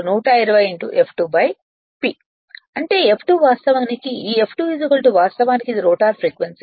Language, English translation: Telugu, That is your F2 is equal to actually, this F2 is equal to actually it is rotor your frequency